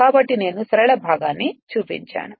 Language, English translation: Telugu, So, I showed you the linear portion